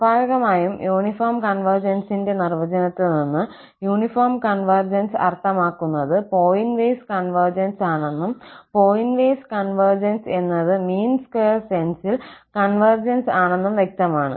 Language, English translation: Malayalam, Naturally, from the definition of the uniform convergence is clear that the uniform convergence implies pointwise convergence and pointwise convergence implies the convergence in the mean square sense